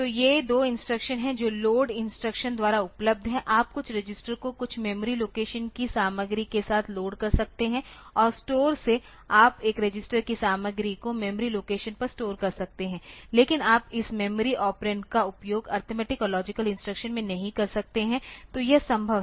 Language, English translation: Hindi, So, these are 2 instruction that are available by LOAD instruction you can load some register with the content of some memory location and STORE you can store the content of a register on to a memory location so, but you cannot use this memory operand in the arithmetic and logic instruction so, that is possible